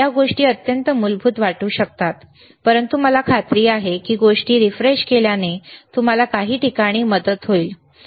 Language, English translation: Marathi, These all things may look extremely basic, but I am sure that you know learning every time again and again refreshing the things will help you at some point, right